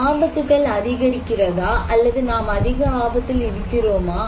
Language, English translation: Tamil, The dangers are increasing, or we are at more risk